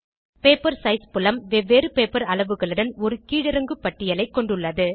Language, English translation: Tamil, Paper size field has a drop down list with different paper sizes